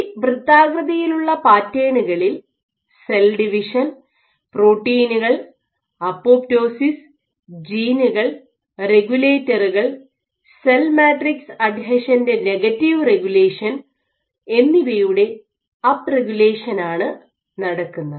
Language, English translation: Malayalam, So, what the form that on these circular patterns they had up regulation in cell division, proteins, apoptosis genes and regulators and negative regulation of cell matrix adhesion again, so there are some other signals which are down regulated on the circles